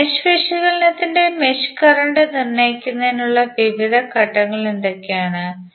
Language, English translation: Malayalam, Now, what are the various steps to determine the mesh current in the mesh analysis